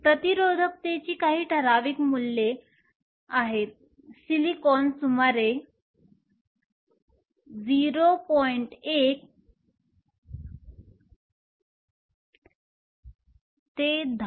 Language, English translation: Marathi, Some of the typical values of resistivity; Silicon is around 0